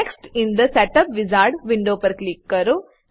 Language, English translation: Gujarati, Click on Next in the setup wizard window